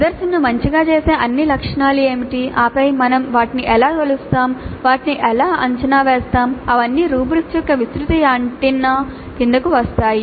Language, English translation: Telugu, Now what are all those attributes which make the presentation good and then how do we measure those, how do we evaluate those things, they all come and the broad and a half rubrics